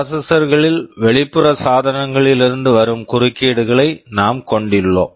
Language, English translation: Tamil, Now you know in processors, we can have interrupts coming from external devices